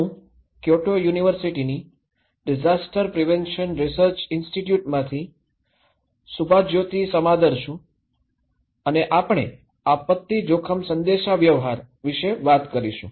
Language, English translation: Gujarati, I am Subhajyoti Samaddar from Disaster Prevention Research Institute, Kyoto University and we will talk about disaster risk communications